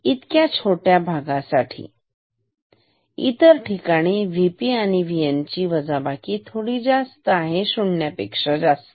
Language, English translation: Marathi, So, this is in this small region, else if V P minus V N is slightly greater I mean significantly greater than 0